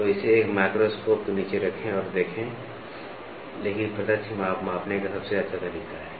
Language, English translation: Hindi, So, put it under a microscope and look, but direct measurement is the best method to measure